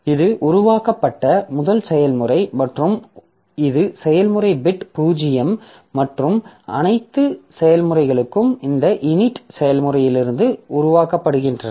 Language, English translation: Tamil, So, this is the first process created and this is process PID is zero and all other processes they are created from this unit process